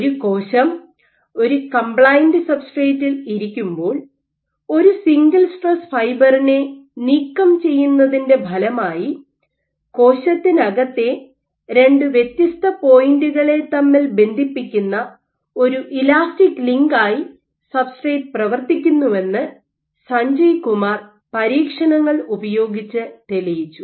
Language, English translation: Malayalam, Using this experiments, Sanjay Kumar demonstrated that when a cell is sitting on a compliant substrate when you have a single stress fiber being ablated as a consequence of the single stress fiber because the substrate acts as an elastic link for two different points within the cell